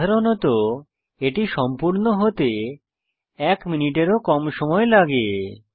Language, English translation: Bengali, Usually it takes less than a minute to complete